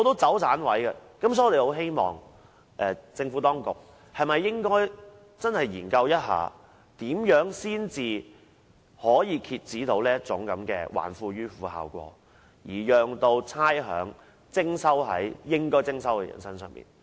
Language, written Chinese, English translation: Cantonese, 所以，我們希望政府當局能認真研究，如何才能遏止這種"還富於富"的效果，向應課差餉的人士徵收差餉。, As such we hope that the Administration can seriously consider ways to curb the effect of returning wealth to the rich when collecting rates from owners of rateable properties